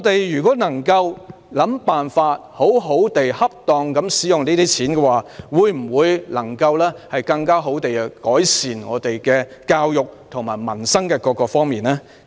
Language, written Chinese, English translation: Cantonese, 如果我們能夠想辦法恰當地使用這筆錢，會否更好地改善教育和民生呢？, Will we be able to better improve education and peoples livelihood if we can identify ways to use these amounts of money properly? . I hope the Government can ponder over that . I so submit